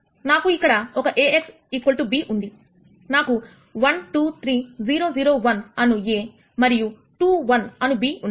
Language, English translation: Telugu, I have an a x equal to b here, I have a as 1 2 3 0 0 1 and b as 2 1